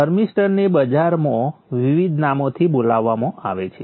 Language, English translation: Gujarati, So this thermister is called by various names in the market